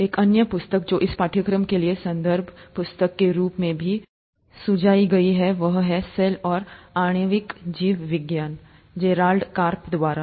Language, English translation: Hindi, Another book that is also recommended as a reference book for this course is “Cell and Molecular Biology” by Gerald Karp